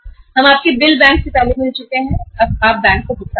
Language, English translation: Hindi, We have already got your bills discounted from the bank, you make the payment to the bank